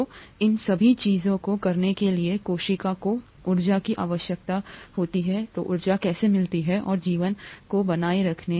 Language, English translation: Hindi, So how does the cell get the needed energy to do all these things and maintain life